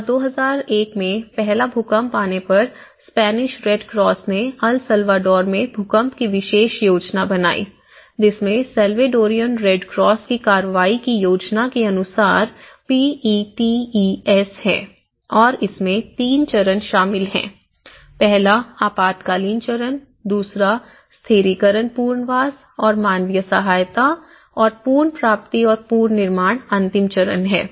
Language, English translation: Hindi, And, when the first earthquake hit in 2001, the Spanish Red Cross has created the special plan for earthquakes in El Salvador which has PETES in accordance with the plan of action of Salvadorian Red Cross and included three phases, one is the emergency phase, the stabilization and the rehabilitation and humanitarian aid and recovery and the reconstruction phase which is the final phase